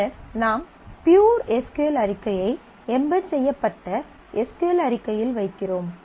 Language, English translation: Tamil, And then you put the pure SQL statement the embedded SQL statement